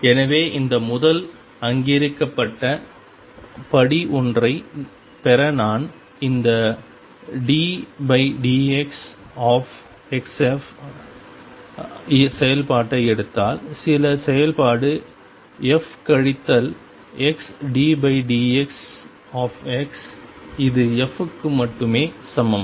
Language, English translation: Tamil, So, to get this first recognize step one that if I take this operation d by d x times x f some function f minus x d by d x f this is equal to f alone